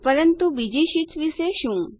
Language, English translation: Gujarati, But what about the other sheets